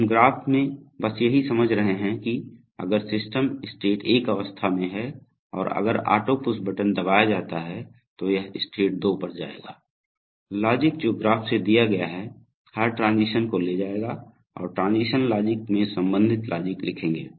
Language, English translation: Hindi, So we are going to say just from the graph that, if, when the system is at state 1, if auto push button is pressed, it will go to state 2, simple, this logic which is given from the graph will take every transition and will write the corresponding logic in the transition logic